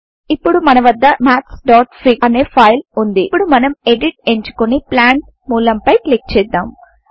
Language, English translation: Telugu, We now have the file maths.fig Let us select Edit and click the text Plant Let me take the mouse here